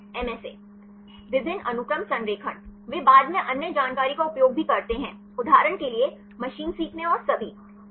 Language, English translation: Hindi, Multiple Sequence Alignment; they also later on use the other information; for example, the machine learning and all